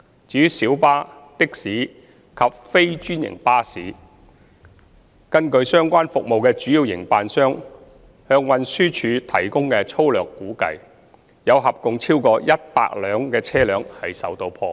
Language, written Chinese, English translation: Cantonese, 至於小巴、的士及非專營巴士，據相關服務的主要營辦商向運輸署提供的粗略估算，有合共超過100輛車輛受到破壞。, As for public light buses PLBs taxis and non - franchised buses according to the rough estimates provided by the relevant major service operators to TD more than 100 vehicles were vandalized